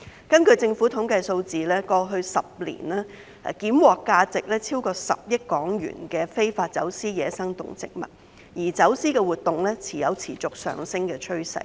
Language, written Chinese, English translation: Cantonese, 根據政府統計數字，當局在過去10年檢獲價值超過10億港元的非法走私野生動植物，而走私活動有持續上升的趨勢。, According to the statistics of the Government over HK1 billion worth of wildlife involved in illegal trafficking has been seized in the past decade and trafficking activities are on a continuous rise